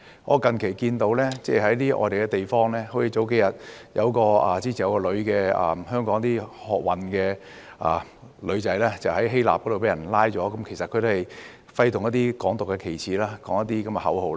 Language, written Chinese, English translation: Cantonese, 我最近看到在外國一些地方，例如數天前，有一名香港女學運成員在希臘被捕，其實她是揮動了"港獨"旗幟，呼叫一些口號。, Recently I noticed what happened in some foreign countries . For instance a few days ago a female student activist from Hong Kong was arrested in Greece . She waved the flag of Hong Kong independence and chanted some slogans